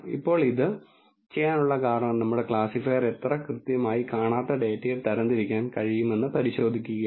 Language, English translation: Malayalam, Now, the reason to do this is to check how accurately our classifier is able to classify an unseen data